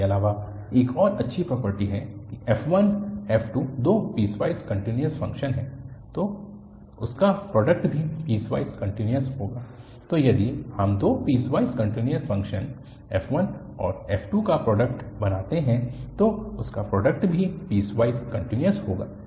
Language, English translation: Hindi, Moreover, there is a one more nice property that if f1 f2 are two piecewise continuous functions then their product will be also piecewise continuous, so if we make a product of two piecewise continuous function f1 and f2 their product will be also piecewise continuous